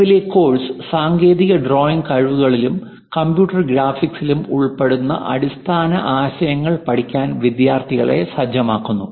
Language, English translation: Malayalam, The present course prepares the students to learn the basic concepts involved in technical drawing skills and computer graphics